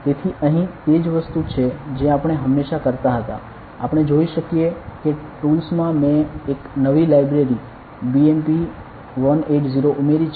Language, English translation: Gujarati, So, here it is the same thing that we always used to do ok, we can see that in the tools I have added a new library BMP180 ok